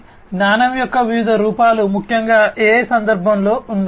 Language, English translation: Telugu, So, there are different forms of knowledge particularly in the context of AI